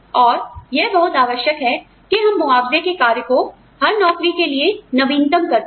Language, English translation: Hindi, And, it is very important that, we keep updating the compensable factors, for each job